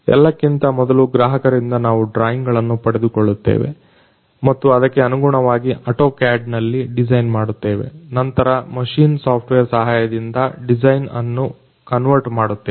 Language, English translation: Kannada, First of all we get drawings from the customer party and accordingly we design them in AutoCAD, then convert the design with the help of machine software